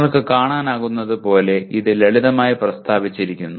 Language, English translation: Malayalam, As you can see it is simply stated